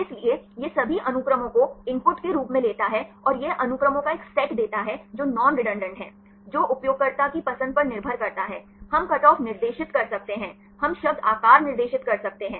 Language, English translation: Hindi, So, it takes all the sequences as input and it gives a set of sequences which are non redundant, that depends upon the user’s choice, we can specify the cut off, we can specify the word size right